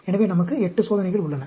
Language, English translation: Tamil, So, we have 8 experiments